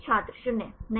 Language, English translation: Hindi, This is 0